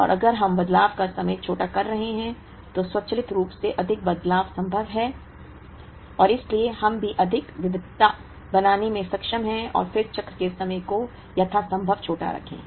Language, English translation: Hindi, And if we changeover times are smaller, then automatically more changeovers are possible and therefore, we also be able to make more variety, and then keep the cycle time as small as possible